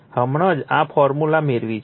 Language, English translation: Gujarati, Just now, we have derived this formula